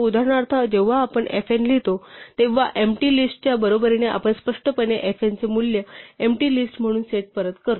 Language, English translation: Marathi, So, for instance when we write fn is equal to the empty list we are explicitly setting the value of fn to be the empty list